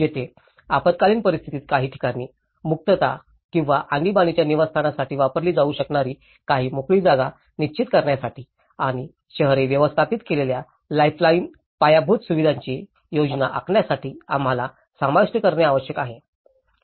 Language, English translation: Marathi, Here, we need to incorporate to set out some open areas that could be used for the evacuation or emergency housing, in case of disaster and to plan for lifeline infrastructure that cities manage